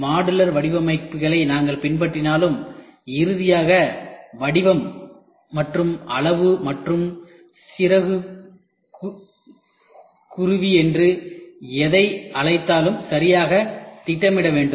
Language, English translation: Tamil, Though we call modular designs can be followed, but finally, the shape and size and insert whatever you make has to be properly planned which takes a long time